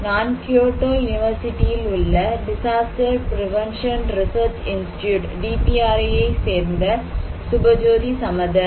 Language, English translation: Tamil, I am Subhajyoti Samaddar from disaster prevention research institute, Kyoto University, Japan